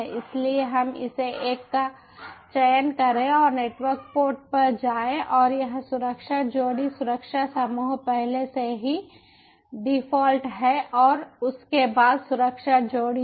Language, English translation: Hindi, i have created this network already, so lets select this one and go to the network port and this security pair, security group its already default and after that ah, security pair